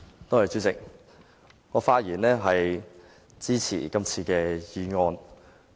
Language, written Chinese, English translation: Cantonese, 代理主席，我發言支持今次的議案。, Deputy President I rise to speak in support of this motion